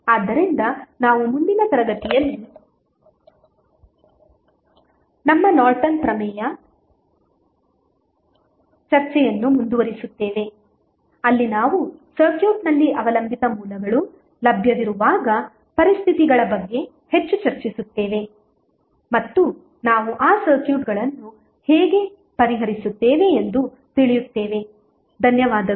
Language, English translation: Kannada, So, we will continue our Norton's theorem discussion in the next class where we will discuss more about the conditions when the dependent sources are available in the circuit and we will come to know how we will solve those circuits, thank you